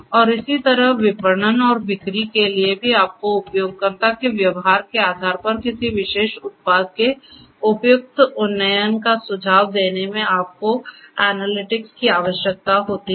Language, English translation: Hindi, And, similarly for marketing and sales also to suggest suitable upgrades of a particular product based on the user behavior you need analytics